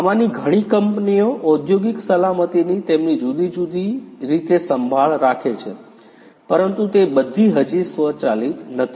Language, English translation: Gujarati, Many of these companies they take care of the industrial safety in their different, different ways, but not all of which is yet you know automated